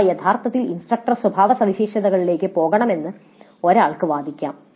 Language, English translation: Malayalam, So one could argue that these actually should go into instructor characteristics, it is fine